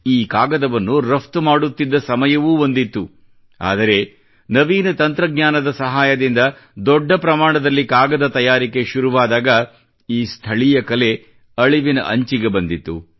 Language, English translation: Kannada, There was a time when this paper was exported but with modern techniques, large amount of paper started getting made and this local art was pushed to the brink of closure